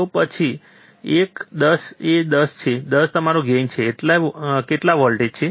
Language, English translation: Gujarati, So, 10 by one is 10, 10 is your gain, how much voltage